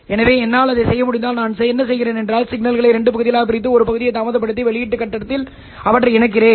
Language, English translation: Tamil, So if I have been able to do that then what I do is I take the signal split into two portions, then delay one portion and then combine them at the output stage